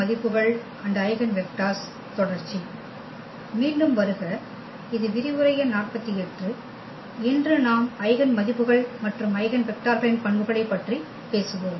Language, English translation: Tamil, ) So, welcome back and this is lecture number 48 and today we will talk about the properties of Eigenvalues and Eigenvectors